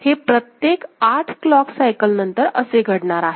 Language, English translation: Marathi, So, after every 8 clock cycle, it will happen